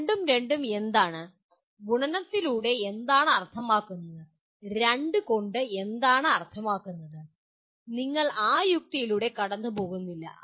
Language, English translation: Malayalam, What is 2 on 2, what is meant by multiplication, what is meant by 2, we are not going through that logic